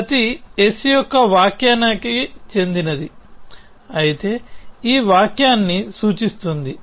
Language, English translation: Telugu, If every s belongs to s interpretation imply this sentence s